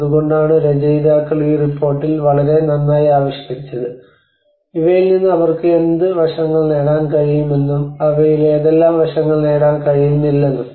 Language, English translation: Malayalam, So that is then authors they have articulated very well in that report that what aspects they could able to get from these and what aspects they could not able to get in these